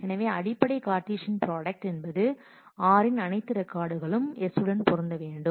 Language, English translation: Tamil, So, the basic Cartesian product is all records of r will have to be matched will have to be connected to all record of s